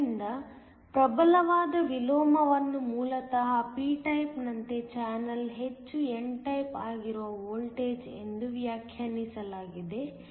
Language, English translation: Kannada, So, strong inversion is defined as basically the voltage at which the channel is as much n type as it does originally p type